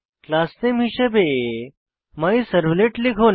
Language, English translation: Bengali, Type the Class Name as MyServlet